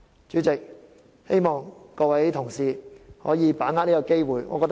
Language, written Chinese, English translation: Cantonese, 主席，希望各位同事可以把握機會。, President I hope Honourable colleagues will seize this opportunity